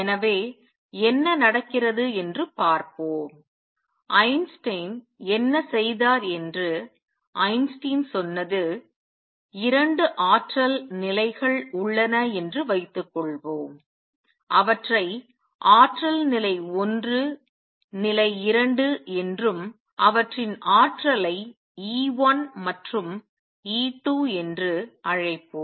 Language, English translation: Tamil, So, let us see what happens, what Einstein did what Einstein said was suppose there are 2 energy levels let us call them with energy level 1 level 2 with energy E 1 and E 2 right now just consider 2 levels